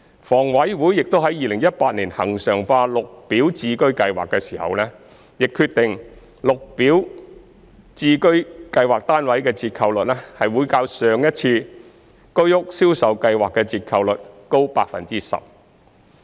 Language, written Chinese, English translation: Cantonese, 房委會於2018年恆常化綠表置居計劃時亦決定，綠置居單位的折扣率會較上一次居屋銷售計劃的折扣率高 10%。, In regularizing the Green Form Subsidised Home Ownership Scheme GSH in 2018 HA also decided that GSH flats would be sold at a discount of 10 % more than that in the preceding sale exercise of the Home Ownership Scheme